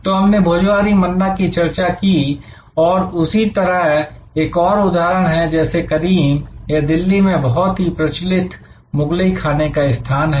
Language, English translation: Hindi, So, we discussed that Bhojohori Manna and similarly there are example likes Karim’s, a very famous establishment in Delhi for Mughlai food